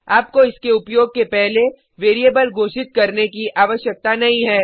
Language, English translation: Hindi, You do not need to declare a variable before using it you can just use it into your code